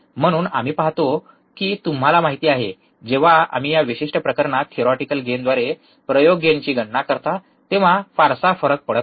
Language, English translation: Marathi, So, we see that, you know, not much difference happens when we calculate experiment gain with theoretical gain in this particular case